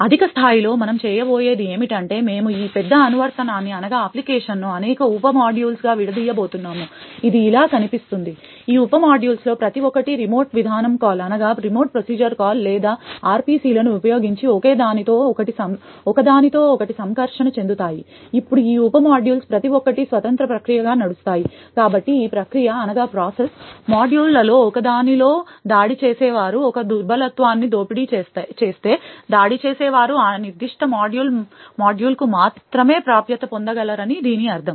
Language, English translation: Telugu, At a high level what we are going to do is that we are going to break this large application into several sub modules which would look something like this, each of this sub modules would then interact with each other using remote procedure calls or RPCs, now each of this sub modules runs as an independent process, therefore if a vulnerability is exploited by an attacker in one of these process modules it would mean that the attacker can only gain access to that particular module